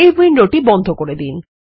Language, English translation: Bengali, We will close this window